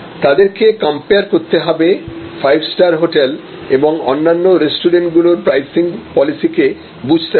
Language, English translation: Bengali, They have to compare, they have to understand the five star hotel and the restaurants and their pricing policies